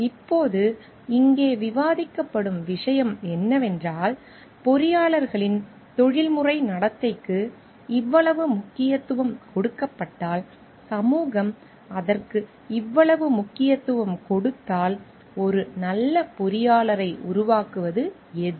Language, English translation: Tamil, Now, the point of discussion over here is then like if there is so much importance given on the professional conduct of engineers and society lays so much importance on it, then what makes a good engineer